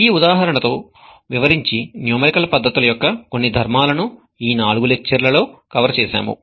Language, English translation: Telugu, We use this example to also demonstrate some of the properties of the numerical methods that we have covered in the four lectures